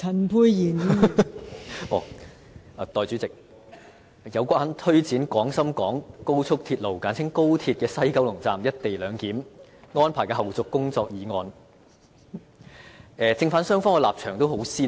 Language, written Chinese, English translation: Cantonese, 代理主席，就"有關推展廣深港高速鐵路西九龍站'一地兩檢'安排的後續工作的議案"，正反雙方的立場都很鮮明。, Deputy President in regard to the motion on Taking forward the follow - up tasks of the co - location arrangement at the West Kowloon Station of the Guangzhou - Shenzhen - Hong Kong Express Rail Link the stances of both sides in the debate are very clear